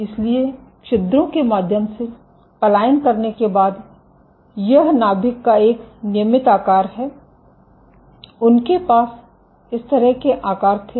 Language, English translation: Hindi, So, this is a regular shape of nuclei after migrating through the pores they had this kind of shapes